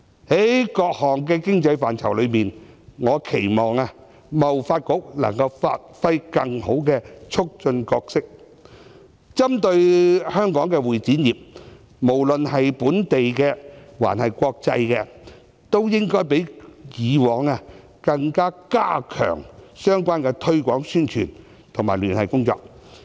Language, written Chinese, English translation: Cantonese, 在各項的經濟範疇中，我期望貿易發展局能夠發揮更好的促進角色，針對香港的會議及展覽業，無論是本地或國際，都應該較以往加強相關的推廣宣傳及聯繫工作。, I expect the Hong Kong Trade Development Council to perform a better role in promoting the development of various economic sectors particularly the convention and exhibition industry . The Council should step up its efforts in promotion publicity and liaison to develop the industry in the local and international markets